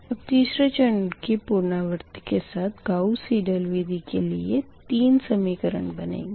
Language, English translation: Hindi, so in that case you have to, you have to right down first all the three equations for the gauss seidel method